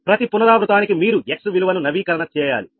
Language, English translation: Telugu, every iteration you need to update the x value